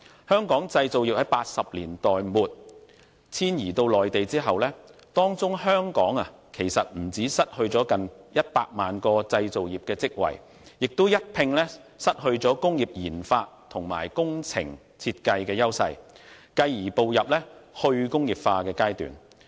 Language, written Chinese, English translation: Cantonese, 香港製造業在1980年代末遷移到內地後，不但失去近100萬個製造業職位，也一併失去了工業研發與工程設計的優勢，繼而步入"去工業化"的階段。, He said that after the migration of local manufacturing industry to the Mainland in late 1980s Hong Kong had not only lost almost one million manufacturing posts but also its edge in industrial research and development RD and project design consequently entering the stage of de - industrialization